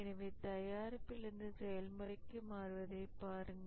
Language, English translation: Tamil, So, see the shift from the product to the process